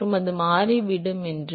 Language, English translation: Tamil, And, that it will turn out to be